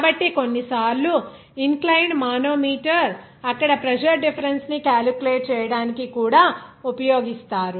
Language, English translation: Telugu, So, sometimes the inclined manometer are also used to calculate the pressure difference there